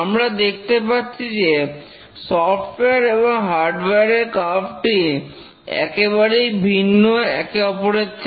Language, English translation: Bengali, We can see that the failure curve for software is very different from the bathtub curve for hardware systems